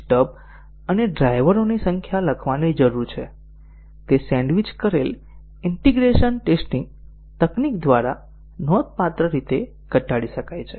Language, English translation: Gujarati, So, the number of stubs and drivers require to be written can be reduced substantially through a sandwiched integration testing technique